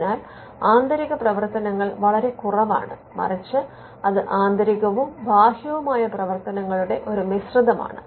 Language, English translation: Malayalam, So, the internal functions are little and rather it is a mix of internal and external